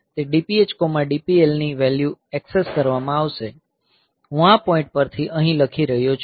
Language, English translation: Gujarati, So, those DPH, DPL values will be accessed; so, I am writing from this point here